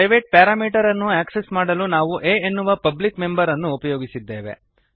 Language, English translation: Kannada, To access the private parameter we used the public member a